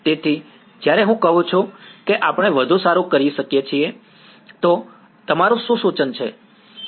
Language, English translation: Gujarati, So, when I say can we do better, what would be your suggestion